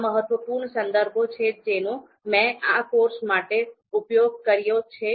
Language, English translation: Gujarati, These are the important references that I am using for this course